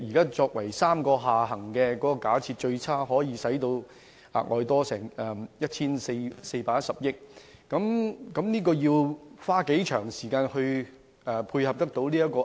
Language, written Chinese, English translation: Cantonese, 現時3個下行處境的假設，最差可以導致負債 1,410 億元，這筆款項要花多長時間來償還？, Regarding the three downside scenarios the worst case is that a debt of 141 billion will be incurred . How long will it take to pay off such a debt?